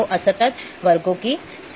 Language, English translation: Hindi, So, list of discrete classes